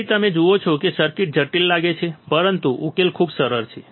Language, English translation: Gujarati, So, you see the circuit may look complex, but the solution is very easy